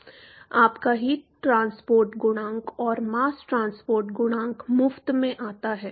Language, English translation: Hindi, Your heat transport coefficient and mass transport coefficient comes for free